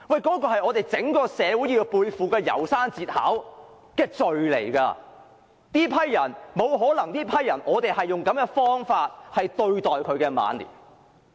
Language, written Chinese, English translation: Cantonese, 這是我們整個社會要背負《楢山節考》所述的罪，我們沒有理由用這種方法來對待這群長者的晚年。, This is the sin as described in The Ballad of Narayama that our society as a whole has to bear . We have no reason to treat these elders like this at their old age